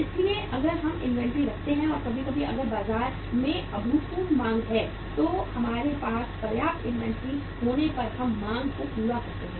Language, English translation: Hindi, So if we keep inventory and sometime if there is a unprecedented demand in the market if we have the sufficient inventory we can fulfill the demand